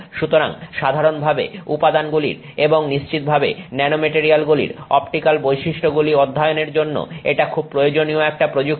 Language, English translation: Bengali, So this is a very important technique to use for studying optical properties of materials in general and certainly of nanomaterials